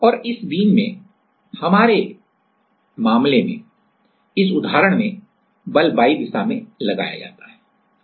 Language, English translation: Hindi, And in this beam; in our case, in for this example force is applied in y direction and